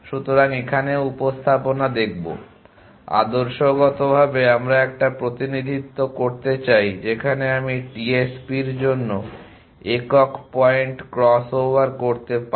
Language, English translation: Bengali, So, will look at representation here also, ideally we would like to have a representation in which I can do single point cross over for TSP